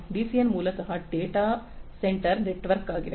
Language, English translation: Kannada, DCN is basically data center network